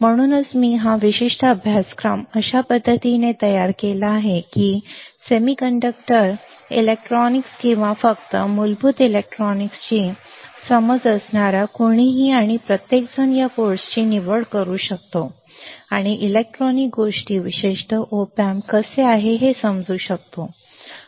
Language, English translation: Marathi, So, that is why I have molded this particular course in the fashion that anyone and everyone who has a basic understanding of semiconductor electronics or just basic electronics can opt for this course, and can understand how the electronic things are particularly op amps, particularly MOSFETs and ICs work